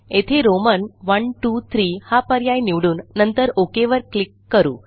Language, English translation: Marathi, We will choose Roman i,ii,iii option and then click on the OK button